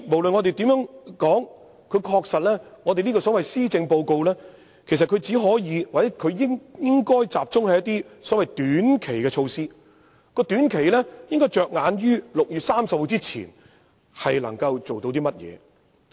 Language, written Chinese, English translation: Cantonese, 所以，無論如何，這份施政報告確實只可或應該集中於一些短期的措施，意思是應着眼於能夠在6月30日之前完成的事項。, Hence from all perspectives the focus of this Policy Address can or should only be some mere short - term measures which can be completed before 30 June